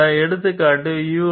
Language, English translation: Tamil, This example concerns the U